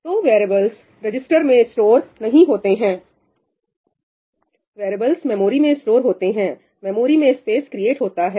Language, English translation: Hindi, variables are not stored in the registers; variables are stored in the memory, space is created in the memory